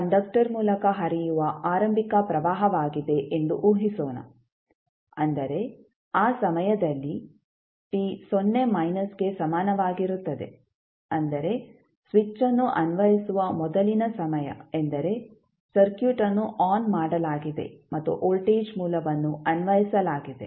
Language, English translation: Kannada, Let us assume I naught naught is the initial current which will be flowing through the conductor that means at time t is equal to 0 minus means the time just before the application of the switch means the circuit is switched on and voltage source is applied